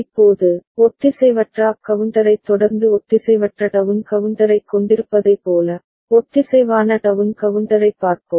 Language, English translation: Tamil, Now, let us look at synchronous down counter ok, like we had asynchronous down counter following asynchronous up counter